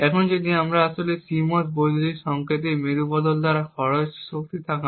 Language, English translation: Bengali, Now if we actually look at the power consumed by the CMOS inverter, it would look something like this